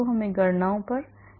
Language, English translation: Hindi, let us go to calculations